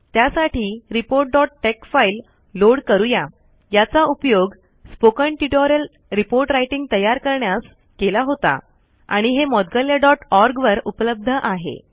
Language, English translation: Marathi, To explain this, let us load the file report dot tex, used to create the spoken tutorial report writing, also available at moudgalya dot org